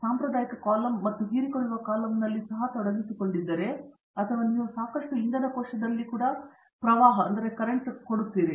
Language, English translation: Kannada, Is involved even in a traditional column and absorption column or you are flooding even in enough fuel cell